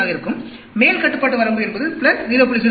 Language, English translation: Tamil, 05; upper control limit could be plus 0